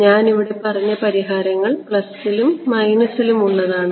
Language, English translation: Malayalam, So, the solutions I said I mentioned are both plus and minus right